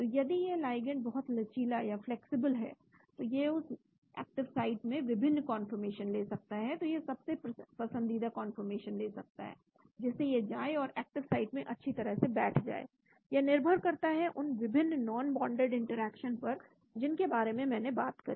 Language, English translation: Hindi, so if the ligand is very flexible it can take different conformation into that active site, so it can take the most favored conformation, so that it goes and fits nicely into the active site, based on the various non bonded interactions I talked about